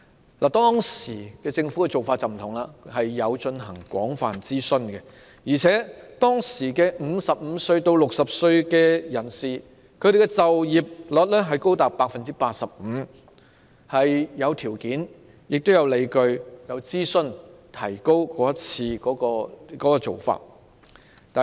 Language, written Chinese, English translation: Cantonese, 政府當時的做法有別於現時，曾進行廣泛諮詢，加上當時55至60歲人士的就業率高達 85%， 因此是有條件、有理據並經過諮詢後提高的。, The approach adopted by the Government at that time was different from the present one in that extensive consultation had been conducted . In addition the employment rate of those aged 55 to 60 was as high as 85 % at that time such that there were potential and grounds to raise the eligibility age which was implemented after consultation